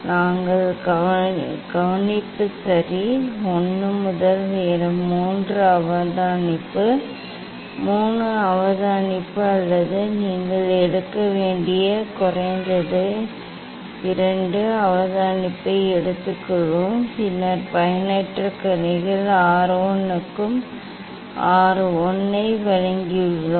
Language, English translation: Tamil, We will take observation ok, 1 to 3 observation, 3 observation or at least 2 observation you should take, then we find out mean that is we have given R 1 for refracted rays R 1